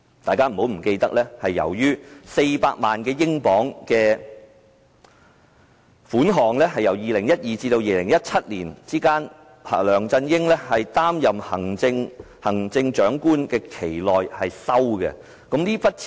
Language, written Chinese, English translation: Cantonese, 大家不要忘記， 400萬英鎊是2012年至2017年，梁振英在擔任行政長官的期間內收受的款項。, We should not forget that LEUNG Chun - ying received £4 million from 2012 to 2017 during the time he served as the Chief Executive